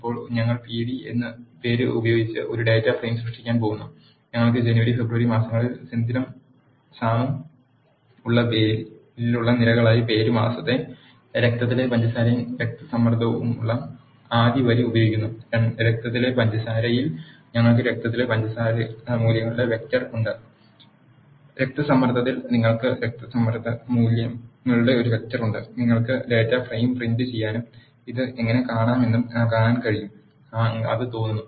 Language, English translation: Malayalam, Now we are going to create a data frame by name pd; using the first line which has name month blood sugar and blood pressure as the columns in the name we have Senthil and Sam in the month we have Jan and February, in the blood sugar we have a vector of blood sugar values and in the blood pressure you have a vector of blood pressure values you can print the data frame and see how this it looks